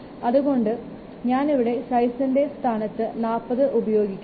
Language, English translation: Malayalam, So I will use the in place of size 40